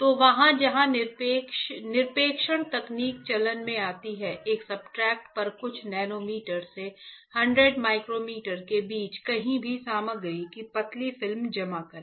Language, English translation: Hindi, So, there where the deposition technique comes into play; in deposition deposit thin film of material anywhere between few nanometer to 100 micrometers onto a substrate